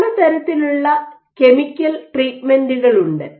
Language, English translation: Malayalam, So, you then have a series of chemical treatments